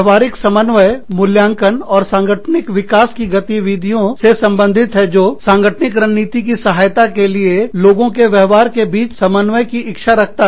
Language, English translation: Hindi, Behavioral coordination deals with, appraisal and organizational development activities, that seek to coordinate behavior across, individuals to support the organizational strategy